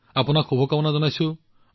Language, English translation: Assamese, Wish you the very best